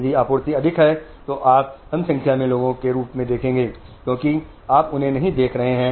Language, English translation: Hindi, If the supply is more, you will always see there are less number of people because you are not seeing them